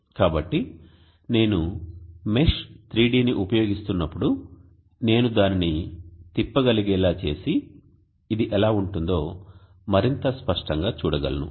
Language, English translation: Telugu, So as I use the mesh 3d I should be able to rotate it and just get a much better view of how it would look